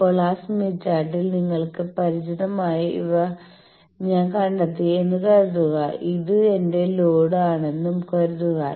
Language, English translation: Malayalam, Now, in that smith chart, suppose I have located up to these you are familiar, suppose this is my load